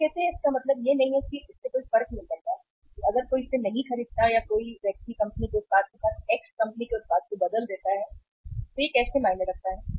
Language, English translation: Hindi, That you say that it does not means it does not make a difference that if somebody does not buy it or somebody replaces X company’s product with the Y company’s product so how does it matter